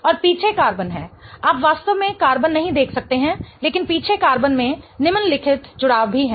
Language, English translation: Hindi, And the back carbon is you really cannot see the carbon but the back carbon has the following attachments as well